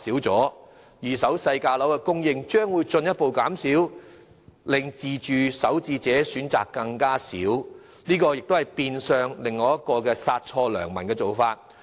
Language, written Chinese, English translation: Cantonese, 在二手低價單位的供應量進一步減少之下，自住首置買家的選擇將更少，這變相是另一殺錯良民的做法。, Given the further reduction in the supply of low - priced flats in the secondary market first - time home buyers who wish to purchase a flat for self - use will be left with even fewer choices and hence they will also be unnecessarily caught by the measures